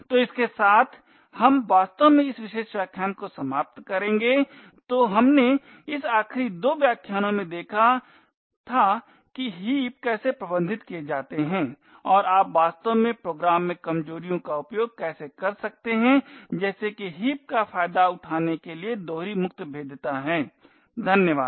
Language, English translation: Hindi, So with this we will actually wind up this particular lecture, so we had seen in this last two lectures about how heaps are managed and how you could actually use vulnerabilities in the program such as a double free vulnerability to exploit the heap, thank you